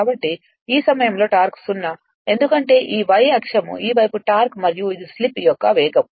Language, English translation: Telugu, So, at this point torque is 0 right because this y axis this side is torque and this the speed of the slip